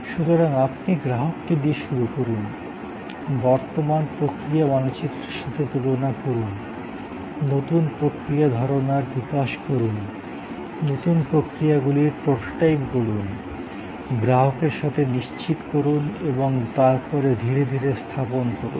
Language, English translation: Bengali, So, you start with the customer, compare with the current process map, develop new process ideas, prototype the new processes, check with the customer and then deploy gradually, often go back to the drawing board to redesign